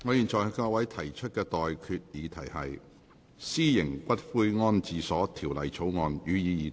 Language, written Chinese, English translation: Cantonese, 我現在向各位提出的待決議題是：《私營骨灰安置所條例草案》，予以二讀。, I now put the question to you and that is That the Private Columbaria Bill be read the Second time